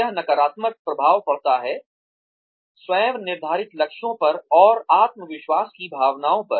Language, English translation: Hindi, It has negative effects, on self set goals and, on feelings of self confidence